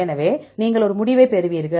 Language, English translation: Tamil, So, you will a get the result